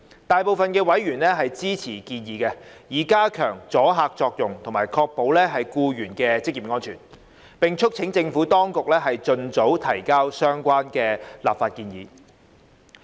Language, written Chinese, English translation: Cantonese, 大部分委員支持建議，以加強阻嚇作用及確保僱員的職業安全，並促請政府當局盡早提交相關立法建議。, Most members were supportive of the proposal to increase the deterrent effect and ensure the occupational safety of employees and urged the Administration to expedite the introduction of the relevant legislative proposals